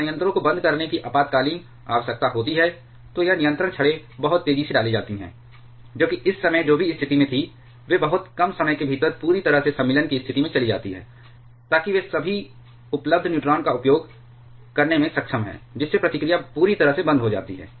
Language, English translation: Hindi, When there is an emergency need of shutting down the reactors, then this control rods are inserted very, very rapidly that is from whatever position they were in at the moment, they go into the completely insertion position within a very short amount of time so that they are able to consume all the available neutrons thereby completely stopping the reaction